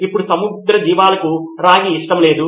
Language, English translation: Telugu, Now marine life does not like copper